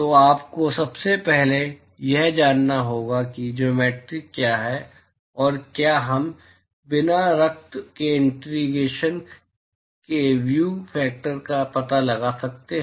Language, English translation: Hindi, So, you first have to intuit as to what is the geometry and can we find out the view factors without doing the gory integration